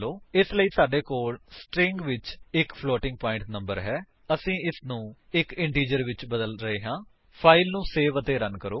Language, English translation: Punjabi, So, we have a floating point number in a string and we are converting it to an integer